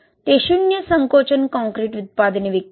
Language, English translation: Marathi, They sell it zero shrinkage concrete products